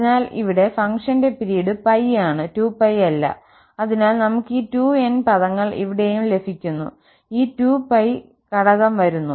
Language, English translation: Malayalam, So, here the period of the function is pi not 2 pi, therefore we are getting these 2n terms and here also, this factor 2 over pi was coming